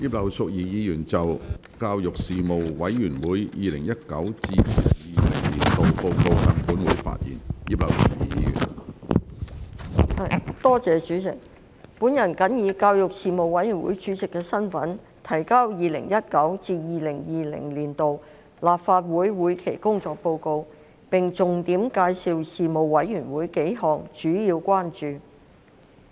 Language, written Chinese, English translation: Cantonese, 主席，我謹以教育事務委員會主席的身份，提交事務委員會 2019-2020 年度報告，並重點介紹數項主要關注。, President in my capacity as Chairman of the Panel on Education the Panel I submit the report on the work of the Panel for 2019 - 2020 and highlight several major concerns